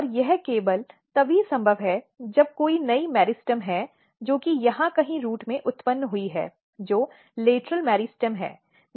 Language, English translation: Hindi, And this is only possible if there is new meristems which has been generated somewhere here in the root which is kind of lateral meristem